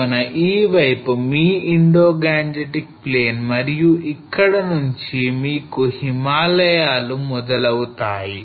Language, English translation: Telugu, So this side is your Indo Gangetic Plain and from here you start having the Himalayas